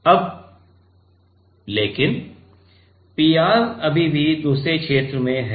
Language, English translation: Hindi, Now, but the PR is still remaining in the other region right